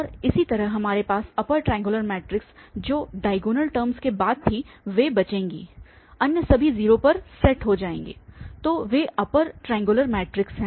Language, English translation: Hindi, And similarly, we have the upper triangular matrix were the next to the diagonal terms will survive, all other will set to 0 so that is the upper triangular matrix